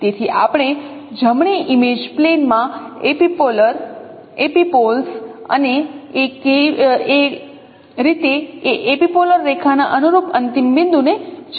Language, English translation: Gujarati, So you know epipolar epipoles of in the right image plane and also the corresponding end point of that epipolar line in this way